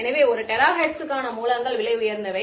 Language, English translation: Tamil, So, a terahertz sources are themselves expensive